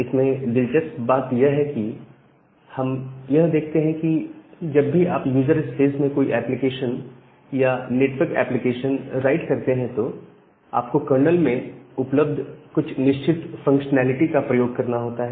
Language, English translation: Hindi, Now, interestingly what we will see that whenever you will write a application, network application at the user space, you have to transfer or you have to use certain kind of functionalities which are available at the kernel